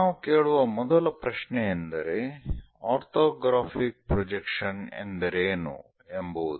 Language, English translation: Kannada, First question we will ask what is an orthographic projection